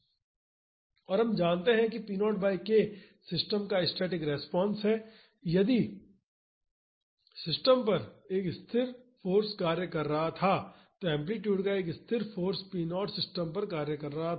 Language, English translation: Hindi, And we know that p naught by k is the static response of the system if a constant force was acting on the system, a constant force of amplitude p naught was acting on the system